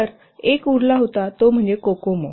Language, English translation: Marathi, So one was remaining that is Kokomo